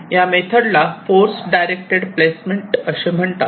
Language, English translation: Marathi, this method is called force directed placement